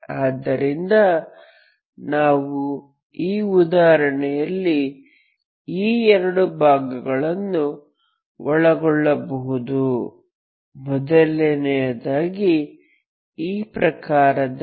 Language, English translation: Kannada, So these two cases we can cover in this example, in this type first of all